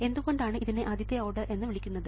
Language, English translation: Malayalam, so what is it that makes this first order